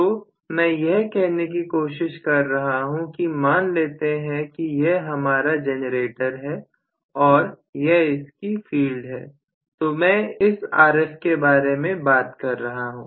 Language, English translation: Hindi, So, what I am trying to say is let us say this is my generator here is the field, so I am going to talk about this as Rf